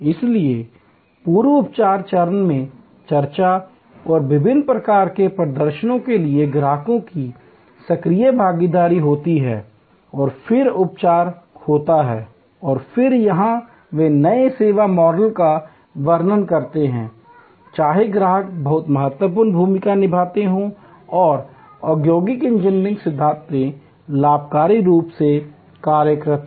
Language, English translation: Hindi, So, there is an active involvement of the customers to discussions and various kinds of demonstrations in the pre treatment stage and then, the treatment happens and then, here is a they are description of the new service model, whether customers play very significant part and industrial engineering principles are gainfully employed